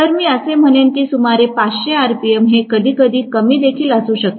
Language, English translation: Marathi, So, I would say around 500 rpm it can be sometimes less as well